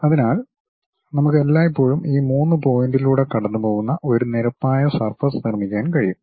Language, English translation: Malayalam, So, we can always construct a plane surface which is passing through these three points